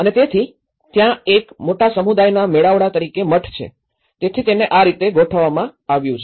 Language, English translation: Gujarati, And so that, there is a monastery as a major community gathering, so this is how the settlement pattern has been organized